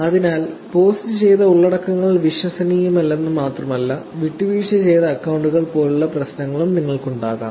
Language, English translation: Malayalam, Therefore, it is not only that the contents that are posted are not credible, but you can also have these problems like compromised accounts